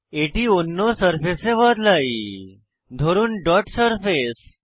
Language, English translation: Bengali, Let us change it to another surface, say, Dot Surface